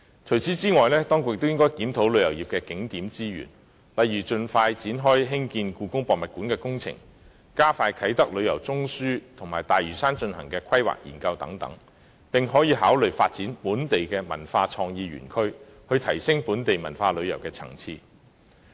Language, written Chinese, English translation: Cantonese, 此外，當局亦應檢討旅遊業的景點資源，例如盡快展開興建香港故宮文化博物館的工程、加快發展啟德旅遊中樞及在大嶼山進行的規劃研究等，並可考慮發展本地文化創意園區，以提升本地文化旅遊的層次。, Moreover the resources of tourist attractions in the tourism industry should be reviewed . For instance the construction works of the Hong Kong Palace Museum should commence expeditiously the development of a tourism hub in Kai Tak and the planning study on Lantau should be expedited and so on . Consideration can also be given to developing local cultural and creative parks in order to facilitate the upgrading of local cultural tourism